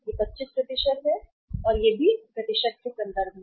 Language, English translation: Hindi, This is 25% and these all are in the percentage terms